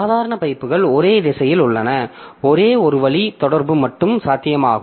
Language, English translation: Tamil, So, ordinary pipes are unidirectional, only one way communication is possible